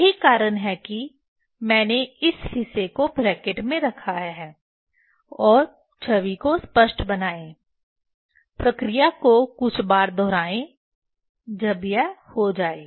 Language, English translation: Hindi, that is why I have kept in bracket this part and make image sharp, repeat the operation few times when it us done